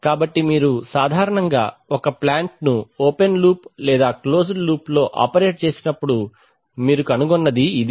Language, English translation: Telugu, So this is typically what you find when you have, when you operate a plant either open loop or closed loop